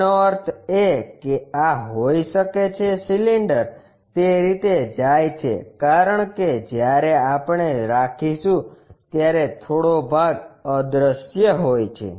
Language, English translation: Gujarati, That means, this might be the cylinder goes in that way, because some part is invisible when we are keeping